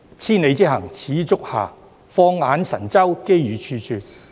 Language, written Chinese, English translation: Cantonese, 千里之行，始於足下。放眼神州，機遇處處。, A journey of a thousand miles begins with a single step and look north to China for ample opportunities